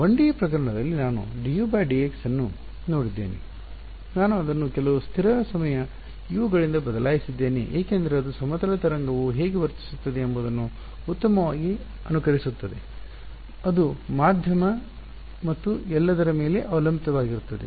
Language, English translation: Kannada, In the 1D case I saw d u by d x, I replaced it by some constant times u because that best simulated how a plane wave behaves those constant depended on the medium and all of that